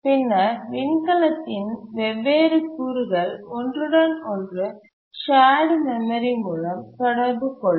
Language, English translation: Tamil, So, the different components of the spacecraft could communicate with each other through shared memory